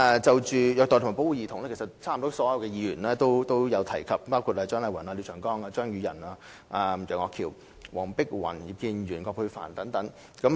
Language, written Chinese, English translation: Cantonese, 就虐待及保護兒童，幾乎所有議員皆有所提及，包括蔣麗芸議員、廖長江議員、張宇人議員、楊岳橋議員、黃碧雲議員、葉建源議員、葛珮帆議員等。, Almost all Members have talked about child abuse and protection including Dr CHIANG Lai - wan Mr Martin LIAO Mr Tommy CHEUNG Mr Alvin YEUNG Dr Helena WONG Mr IP Kin - yuen and Dr Elizabeth QUAT